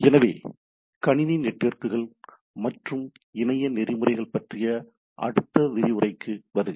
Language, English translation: Tamil, So, welcome to the next lecture on Computer Networks and Internet Protocols